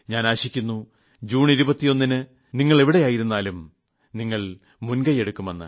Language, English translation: Malayalam, I do hope that on 21st June, wherever you may be, please take the initiative; you have a month with you